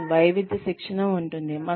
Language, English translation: Telugu, We can have diversity training